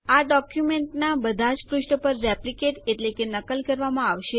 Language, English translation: Gujarati, This will be replicated on all the pages of the document